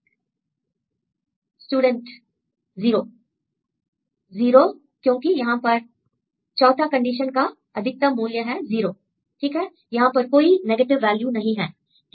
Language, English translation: Hindi, 0; the 0 because in this see the maxima of 4 conditions right maximum is 0, right, you don’t have a negative values right